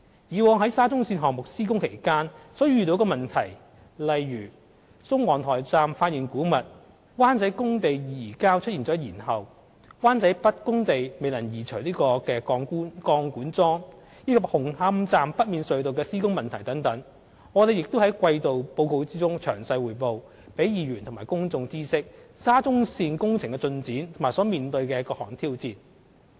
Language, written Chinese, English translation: Cantonese, 以往在沙中線項目施工期間所遇上的問題，例如宋皇臺站發現古物、灣仔工地移交出現延後、灣仔北工地未能移除鋼管樁，以及紅磡站北面隧道的施工問題等，我們亦在季度報告中詳細匯報，讓議員和公眾知悉沙中線工程的進展和所面對的各項挑戰。, In the past we had also reported in detail the problems we have encountered during the construction works in the quarterly reports such as the discovery of archaeological artefacts in Sung Wong Toi Station the delay in the Wan Chai site handing over schedule the problem in removing the pipe piles at Wan Chai North site as well as construction problems in the Hung Hom North Approach Tunnels so as to allow Members and the public to know the works progress and all forms of challenges in the SCL project